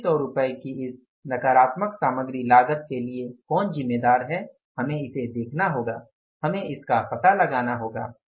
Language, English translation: Hindi, Who is responsible for this negative variance of the material cost by 2,600 rupees that we have to look for, we have to find out